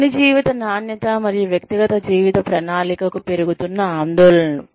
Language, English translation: Telugu, Rising concerns for, quality of work life, and for personal life planning